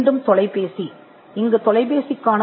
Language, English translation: Tamil, Telephone again, and here is the claim of the telephone